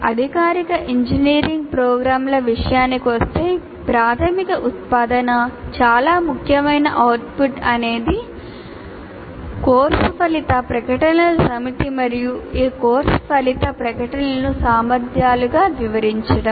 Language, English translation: Telugu, As far as engineering courses, formal engineering programs are concerned, the primary output, the most significant output is the set of course outcome statements and elaborating this course outcome statements into competencies